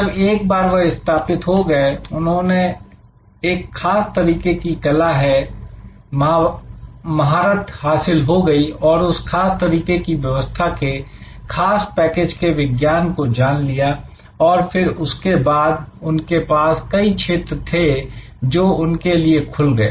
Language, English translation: Hindi, Once they establish and once they master that particular art and science of that particular service package, then there are different trajectories that are open to them